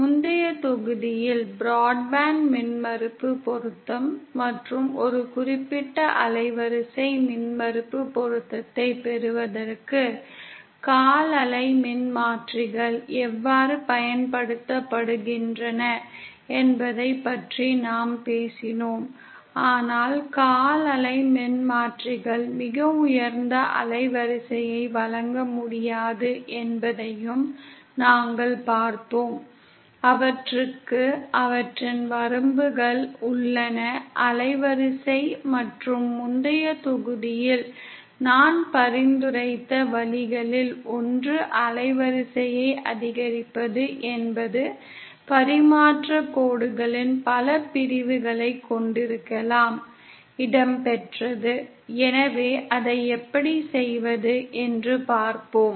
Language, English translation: Tamil, In the previous module we had talked about the broadband impedance matching & how quarter wave transformers are used for obtaining a certain bandwidth of impedance matching, but then we also saw that quarter wave transformers cannot provide a very high bandwidth, they have their own limitations of bandwidth & one of the ways that I suggested in the previous module is to increase the bandwidth could be to have multiple sections of transmission lines cascaded, featured